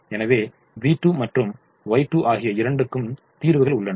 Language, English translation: Tamil, so v two and y two are in the solution